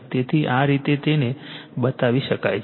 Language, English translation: Gujarati, So, this is this way you can make it